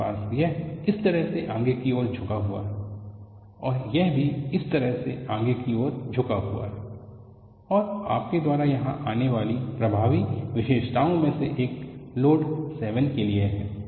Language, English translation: Hindi, You have this forward tilted like this and this also forward tilted like this, and one of the striking feature that you come across here is for the load 7